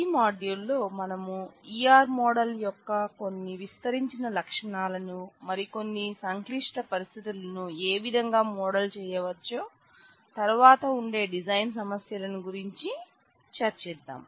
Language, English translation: Telugu, In this module we will try to go through a few extended features of E R model, try to show some of the more complicated situations how they can be modeled in the E R model and along with that we will discuss a variety of design issues that will follow